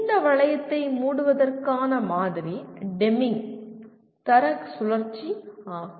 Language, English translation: Tamil, The model to capture this closure of the loop is the Deming’s Quality Cycle